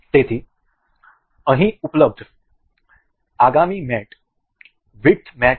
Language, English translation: Gujarati, So, the next mate available over here is width mate